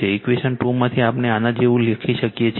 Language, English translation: Gujarati, From equation 2 we can write like this